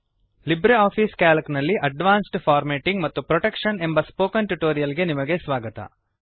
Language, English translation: Kannada, Welcome to the Spoken Tutorial on Advanced Formatting and Protection in LibreOffice Calc